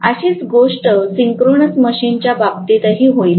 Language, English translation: Marathi, Similar thing will happen in the case of synchronous machine as well